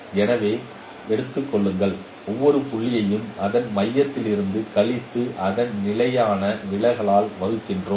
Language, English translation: Tamil, So take this that I subtract each point from its center and then divide it by its standard deviation sigma x